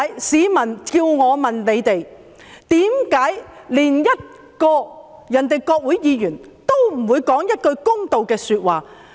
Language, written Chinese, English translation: Cantonese, 市民要我問政府，為何其他國家的國會議員也不說一句公道話。, Members of the public would like me to ask the Government why the members of parliament of another country did not give the matter its fair deal